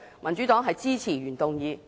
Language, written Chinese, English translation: Cantonese, 民主黨支持原議案。, The Democratic Party supports the original motion